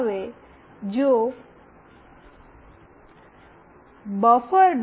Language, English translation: Gujarati, Now, if buffer